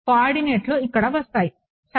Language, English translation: Telugu, The coordinates will come in over here ok